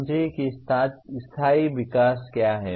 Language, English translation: Hindi, Understand what sustainable growth is